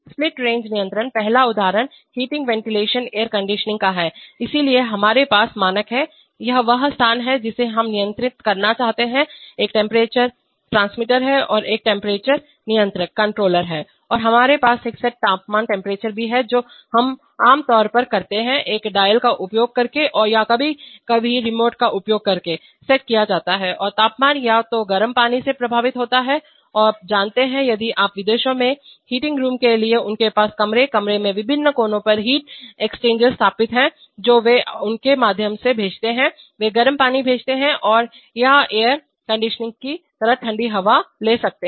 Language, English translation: Hindi, Split range control, the first example is of heating ventilation air conditioning, so we have the standard, this is the space that we want to control there is a temperature transmitter and there is a temperature controller and we also have a set temperature which we generally set using a dial or sometimes using remotes nowadays, and the temperature is affected either by hot water, you know, if you, in countries abroad for heating rooms they have, they have heat exchangers installed in rooms, various corners of the room and through which they send, they send hot water or you can have cold air as in, as in air conditioning